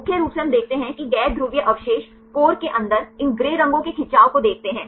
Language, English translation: Hindi, Mainly we see the non polar residues see the stretch of these gray colors inside the core